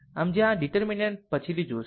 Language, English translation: Gujarati, So, where this determinant that will see later